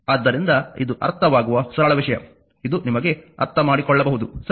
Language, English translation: Kannada, So, this is a understandable a simple thing this is a understandable to you, right